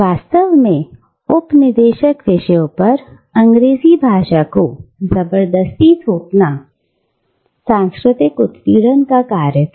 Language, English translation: Hindi, And indeed, the forceful imposition of English language on the colonised subjects was an act of cultural oppression